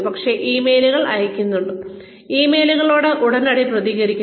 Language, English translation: Malayalam, But, sending emails, responding to emails promptly